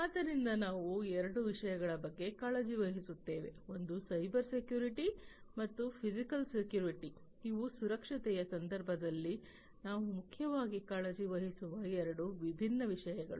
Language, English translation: Kannada, So, we were we are concerned about two particular, two, particularly two things, one is the Cybersecurity and the physical security these are the two different things that we are primarily concerned about in the context of security